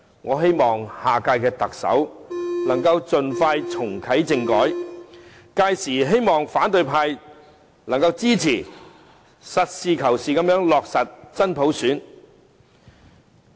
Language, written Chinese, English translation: Cantonese, 我希望下屆特首能夠盡快重啟政改，屆時希望反對派能夠支持，實事求是地落實真普選。, I hope the next Chief Executive can reactivate constitutional reform as soon as practicable and that the opposition camp will support the proposal then in order to pragmatically implement genuine universal suffrage